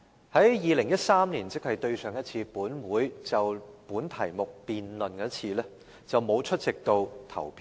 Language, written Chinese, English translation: Cantonese, 在2013年，即本會上一次就這個議題進行辯論時，她沒有出席投票。, When a debate on this topic was last held in this Council in 2013 she was absent at the time of voting